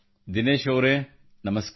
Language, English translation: Kannada, Dinesh ji, Namaskar